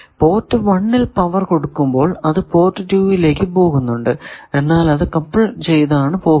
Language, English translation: Malayalam, That, even if you give power at port 1 port 2 and 3 get powered, but port 4 do not get powered